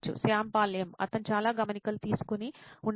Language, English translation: Telugu, Shyam Paul M: He might be taking a lot of notes